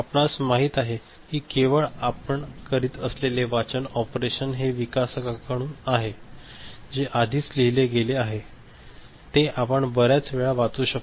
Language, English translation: Marathi, you know it is the reading operation only that you are doing and from the developer side something is has already been written into it which we can read multiple times